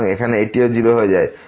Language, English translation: Bengali, So, here this will also become 0